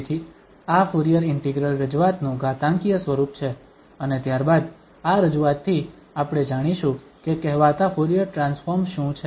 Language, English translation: Gujarati, So, this is the complex representation of this Fourier integral and now we can move further to introduce what is the Fourier transform